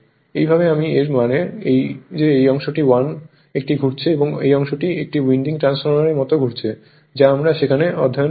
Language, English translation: Bengali, This way I mean this as if this part is 1 winding and this part is 1 winding like a two winding transformer whatever we have studied there